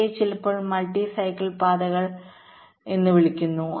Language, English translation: Malayalam, ok, these are sometimes called multi cycle paths